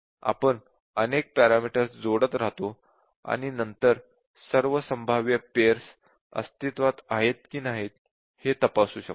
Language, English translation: Marathi, So, we can keep on adding pairs and then checking whether all possible combinations are existing or not